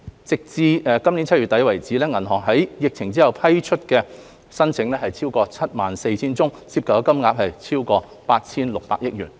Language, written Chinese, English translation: Cantonese, 截至今年7月底，銀行在疫情後共批出逾 74,000 宗申請，涉及金額超過 8,600 億元。, Up to end July 2021 a total of over 74 000 applications have been approved by banks involving an aggregate amount of over 860 billion